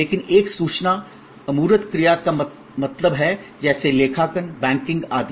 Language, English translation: Hindi, But, an information intangible action means like accounting, banking and so on